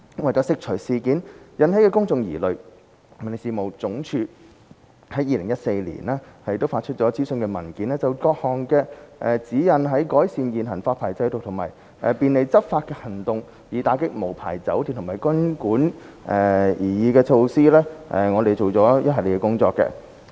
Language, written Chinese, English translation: Cantonese, 為釋除事件引起的公眾疑慮，民政事務總署於2014年發出諮詢文件，就各項指引在改善現行發牌制度及便利執法行動，以打擊無牌酒店及賓館的擬議措施方面，做了一系列的工作。, To address public concerns aroused by the incident the Home Affairs Department published a consultation paper in 2014 and conducted a series of work in regard to the various guidelines on the proposed measures of improving the existing licensing regime and facilitating enforcement actions against unlicensed hotels and guesthouses